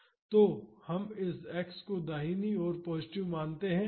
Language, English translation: Hindi, So, if we consider this x to be positive when it is towards right